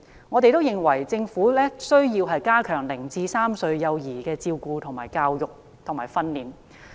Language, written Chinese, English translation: Cantonese, 我們認為，政府需要加強0至3歲幼兒的照顧、教育及訓練。, We agree that the Government should strengthen the care education and training for infants aged zero to three